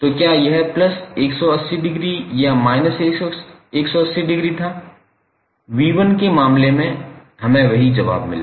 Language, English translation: Hindi, So, whether it was plus 180 degree or minus 180 degree in case of v1, we found the same answers